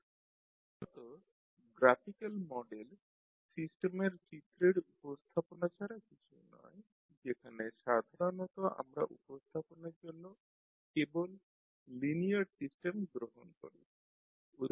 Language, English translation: Bengali, So basically the graphical model is nothing but pictorial representation of the system generally we take only the linear system for the presentation